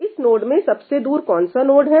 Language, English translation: Hindi, Which is the node furthest from this node